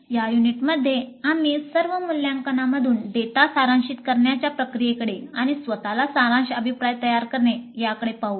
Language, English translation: Marathi, In this unit we look at the process of summarization of data from all evaluations and the preparation of summary feedback to self